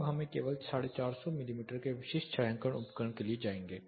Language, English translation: Hindi, Now let us just go for a 450 mm typical shading device